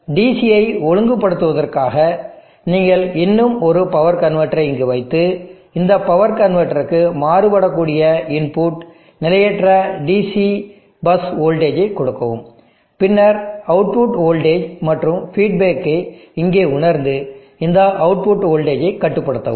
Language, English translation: Tamil, In order to regulate the DC you put one more power convertor here and give the input varying nonfiction DC bus voltage to this power convertor, and then sensed output voltage here, feedback and then control this output voltage